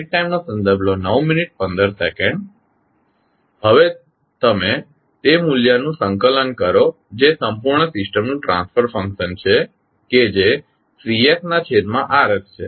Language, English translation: Gujarati, You now compile the value that is the transfer function of the complete system that is Cs upon Rs